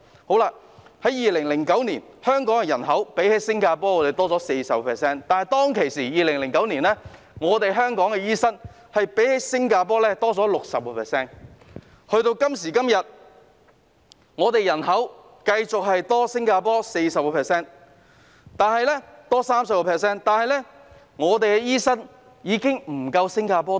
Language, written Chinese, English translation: Cantonese, 在2009年，香港人口較新加坡多 40%， 而香港當時的醫生數目較新加坡多 60%， 但時至今日，我們人口仍然較新加坡多 30%， 但我們的醫生人手已經不及新加坡。, In 2009 Hong Kongs population was 40 % larger than that of Singapore and had 60 % more doctors than Singapore at the time . Yet today when our population is still 30 % larger than that of Singapore the manpower of doctors in Hong Kong is lagging behind Singapore